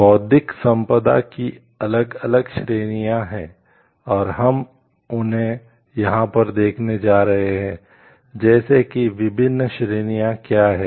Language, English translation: Hindi, There are different categories of intellectual property right, and we are going to see them over here like what are the different categories